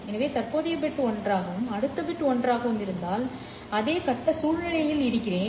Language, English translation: Tamil, If my present bit is 1 and the next bit is 1, then I am in the same phase situation